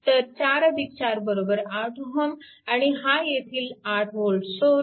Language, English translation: Marathi, So, 4 plus 4 it is 8 ohm and 8 volt source is there